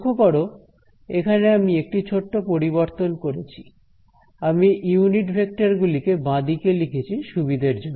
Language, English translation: Bengali, So, note I just did a small change I wrote the unit vectors on the left hand side for convenience